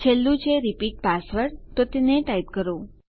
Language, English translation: Gujarati, The last one is repeat password so type that